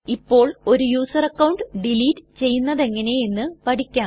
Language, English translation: Malayalam, Now let us learn how to delete a user account